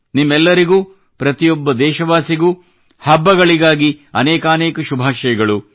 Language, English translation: Kannada, Wishing you all, every countryman the best for the fortcoming festivals